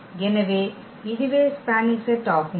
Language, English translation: Tamil, So, what is the spanning set